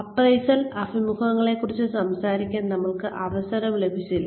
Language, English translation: Malayalam, We did not get a chance, to talk about, appraisal interviews